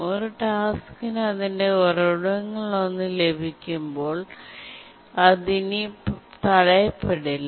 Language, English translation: Malayalam, When a task gets one of its resource, it is not blocked any further